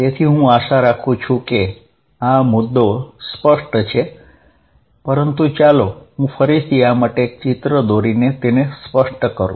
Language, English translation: Gujarati, So, I hope this point is clear, but let me make it clear by drawing this picture again